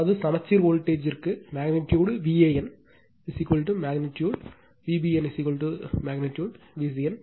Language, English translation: Tamil, That means that means if for balanced voltage, magnitude V a n is equal to magnitude V b n is equal to magnitude V c n right